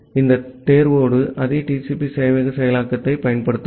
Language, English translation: Tamil, We will use the same TCP server implementation with this select